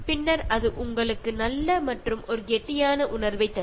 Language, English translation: Tamil, And then it gives a very good and satisfied feeling